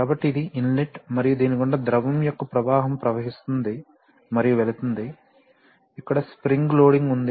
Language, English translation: Telugu, So, this is inlet and is flowing through this and going to, this is the flow of fluid, there is a spring loading